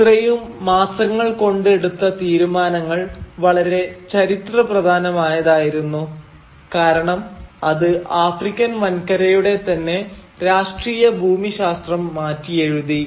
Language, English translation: Malayalam, Now the decisions that were taken during these few months of the conference were so momentous that it changed the political geography of the entire African continent forever